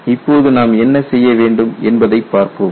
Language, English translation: Tamil, Now, let us see what we have to do